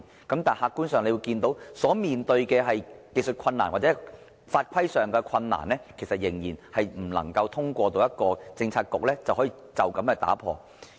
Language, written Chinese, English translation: Cantonese, 但是，客觀事實是對於技術困難或法規上的困難，仍然不能通過一個政策局解決。, The objective fact however is that technical difficulties or legal predicaments still cannot be resolved by a Policy Bureau